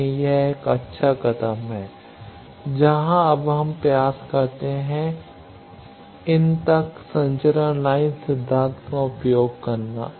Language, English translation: Hindi, So, that is a good step forward where now we can attempt using transmission line theory to these